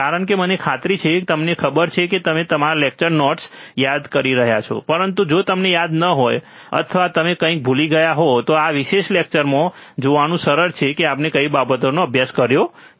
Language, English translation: Gujarati, Because that I am sure that you know you are refreshing your lecture notes, but if you do not remember, or you have forgot something, it is easy to see in this particular lecture what things we have already studied